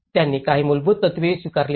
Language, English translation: Marathi, They have also adopted some basic principles